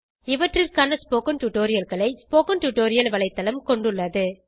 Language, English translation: Tamil, The Spoken Tutorial website has spoken tutorials on these topics